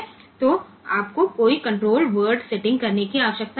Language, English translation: Hindi, So, you do not have to do any control word setting